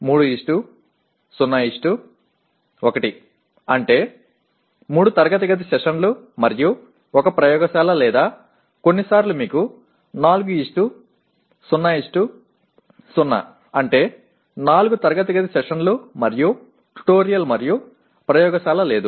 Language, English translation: Telugu, 3:0:1 means 3 classroom sessions and 1 laboratory or sometimes not too often that you have 4:0:0 that means 4 classroom sessions and no tutorial and no laboratory